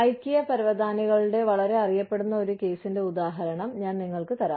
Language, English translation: Malayalam, I will give you, the example of a very well known case of, Ikea carpets